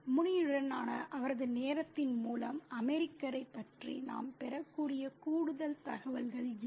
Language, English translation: Tamil, Okay, further information that we can derive about the American through his time with Muni are these